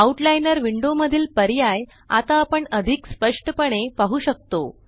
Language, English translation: Marathi, We can see the options in the Outliner window more clearly now